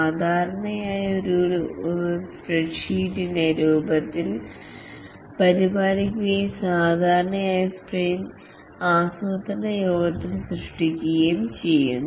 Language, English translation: Malayalam, It typically maintains it in the form of a spread set and usually created during the sprint planning meeting